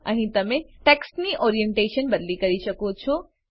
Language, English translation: Gujarati, Here you can change Orientation of the text